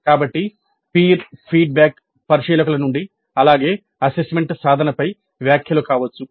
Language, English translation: Telugu, So the peer feedback can be both from observers as well as comments on assessment instruments